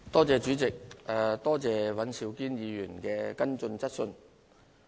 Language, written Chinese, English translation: Cantonese, 主席，多謝尹兆堅議員的補充質詢。, President I thank Mr Andrew WAN for his supplementary question